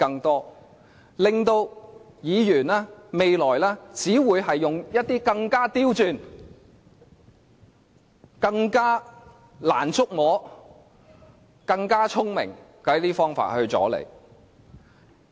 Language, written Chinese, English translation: Cantonese, 將來，議員只會用一些更加刁鑽、更加難以觸摸、更加聰明的方法來阻延你。, In future Members will only stall you with some even more unusual more unpredictable and cleverer tactics